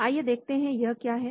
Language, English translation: Hindi, Let us look at what it is